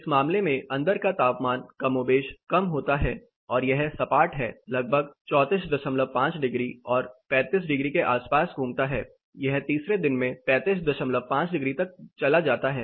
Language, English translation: Hindi, In this case, the indoor temperature is more or less damped and it is flat revolving around 34 and half degrees and 35 degrees, it goes to 35 and half in the third day